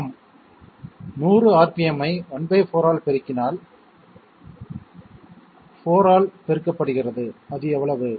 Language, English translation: Tamil, Yeah, 100 rpm multiplied by one fourth which is the gear ratio multiplied by 4, so how much is that